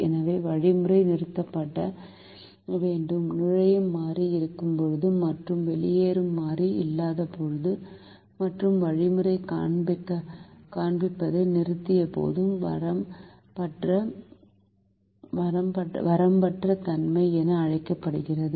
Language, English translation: Tamil, the ratios cannot be calculated, so the algorithm has to terminate when there is an entering variable and when there is no leaving variable, and the algorithm terminates, showing what is called unboundedness